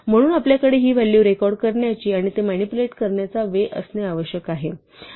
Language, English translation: Marathi, So, we need to have a way of recording these values and manipulate it